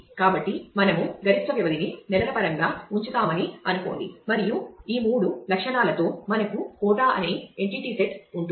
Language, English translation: Telugu, So, let us say we will put the maximum duration say in terms of months and with these three attributes we will have an entity set which is quota